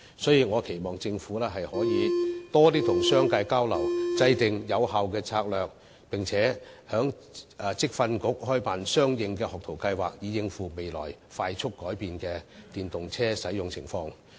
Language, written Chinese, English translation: Cantonese, 所以，我期望政府可以多與商界交流，制訂有效策略，並在職業訓練局開辦相應學徒計劃，以應付未來快速改變的電動車使用情況。, Hence I hope the Government can communicate more with the business sector and formulate an effective strategy and also set up apprenticeship programmes in the Vocational Training Council so as to cope with the fast - changing usage level of EVs in the future